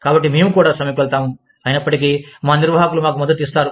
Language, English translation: Telugu, So, we will also go on strike, even though, our management is supporting us